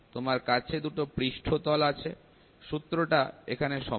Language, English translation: Bengali, So, you have 2 surfaces, the formula is the same